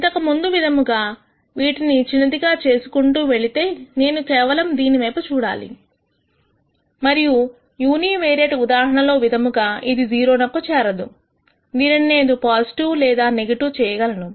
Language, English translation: Telugu, Much like before we said that if I keep making this small I need to only look at this here and much like the univariate case if this does not go to 0, I can make this term either positive or negative